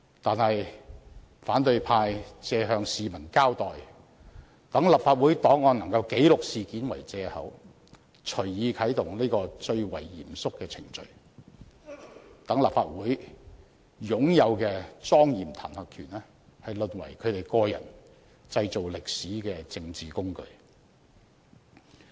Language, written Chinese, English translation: Cantonese, 可是，反對派以向市民交代、讓立法會檔案能記錄此事件為借口，隨意啟動這個最為嚴肅的程序，令立法會擁有的莊嚴彈劾權淪為他們個人製造歷史的政治工具。, However the opposition camp wilfully initiates this most solemn procedure on the pretext of being accountable to the public and putting the incident on the record of the Legislative Council . As such the solemn impeachment power of the Legislative Council has been degenerated into their political tool for making history